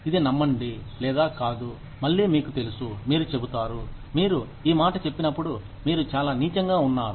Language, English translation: Telugu, Believe it or not, again, you know, you will say, you are being very mean, when you say this